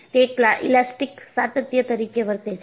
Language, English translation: Gujarati, And, it is also an elastic continuum